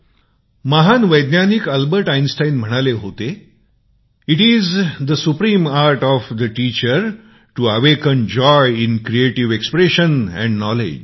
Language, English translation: Marathi, The great scientist Albert Einstein said, "It is the supreme art of the teacher to awaken joy in creative expression and knowledge